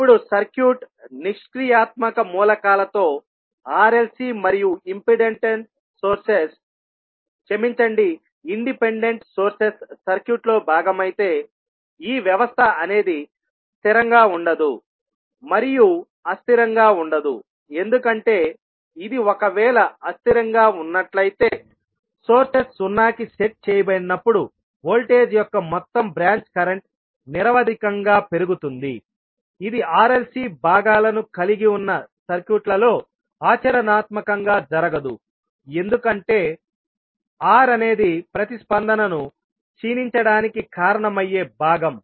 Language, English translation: Telugu, Now let us see how we can co relate with the our electrical circuits now if the circuit is made up of passive elements that is r, l and c and independent sources are part of the circuit this system cannot be stable, cannot be unstable because this if it is unstable then it would employ that sum branch current of voltage would grown indefinitely when sources are set to zero which does not happen practically in the circuits which are having r l and c components because r is the component which is responsible to decay the response